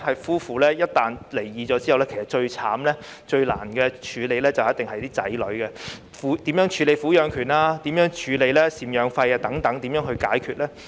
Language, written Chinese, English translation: Cantonese, 夫婦一旦離婚，其實最可憐及最難處理的就是子女，他們的撫養權及贍養費該怎樣解決呢？, Once the couple broke up their child became the most vulnerable and was also the most difficult issue . How to settle the child custody and maintenance issues?